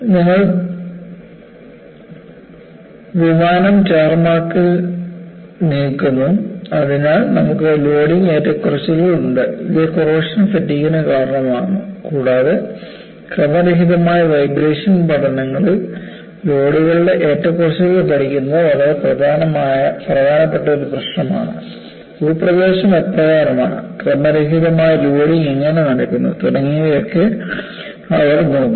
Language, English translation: Malayalam, You move the aircraft in the tar mark, so you have loading fluctuations and this causes onset of corrosion fatigue, and it is one of the very important problem to study the fluctuation of loads in randomization studies, they really look at, what way the terrain is and how the random loading is taking place, and so on and so forth